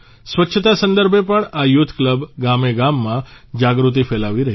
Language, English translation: Gujarati, This youth club is also spreading awareness in every village regarding cleanliness